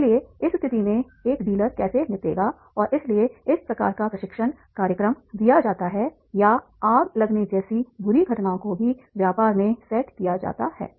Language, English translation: Hindi, So therefore in this situation how a dealer will handle and therefore this type of the training programs are given or even set up a bad event such as a fire at the business